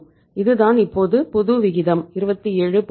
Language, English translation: Tamil, So this is the new ratio now 27